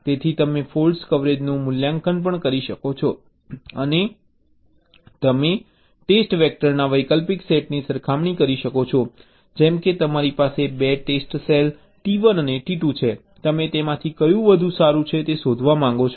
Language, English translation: Gujarati, so and also you can evaluate fault coverage and you can compare alternate sets of test vectors, like you have, say, two test cells, t one and t two